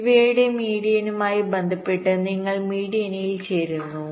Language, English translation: Malayalam, you join this median with respect to the median of these two right